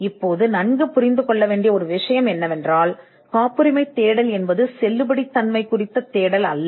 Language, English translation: Tamil, Now one thing that needs to be understood well is that a patentability search is not a search of validity